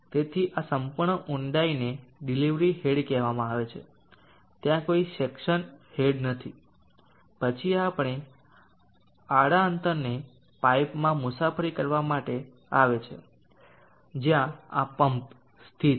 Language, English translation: Gujarati, So this entire depth is called the delivery head there is no suction head, then the water as to travel this horizontal distance in pipe depending on where this some is located